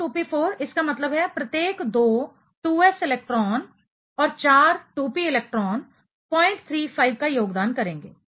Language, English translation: Hindi, 2s2, 2p4; that means, two 2s electron and four 2p electron should contribute 0